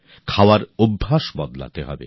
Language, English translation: Bengali, The food habits have to change